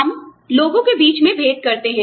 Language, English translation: Hindi, We differentiate between people